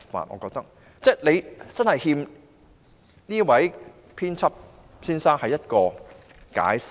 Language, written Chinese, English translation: Cantonese, 當局的確欠這位編輯馬凱先生一個解釋。, The authorities have indeed owed editor Mr MALLET an explanation